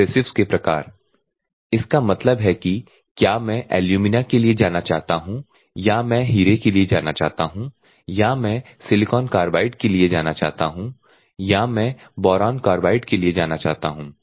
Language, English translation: Hindi, Type of abrasives; that means, that whether I want to go for alumina, whether I want to go for diamond, whether I want to go to silicon carbide, whether I want to go to boron carbide